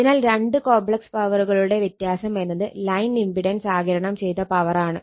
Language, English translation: Malayalam, So, the difference between the two complex power is the power absorbed by the line impedance that is the power loss right